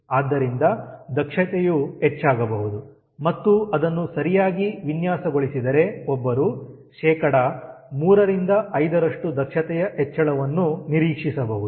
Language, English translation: Kannada, so efficiency may increase and if it is properly designed, one may expect three to five percent increase in efficiency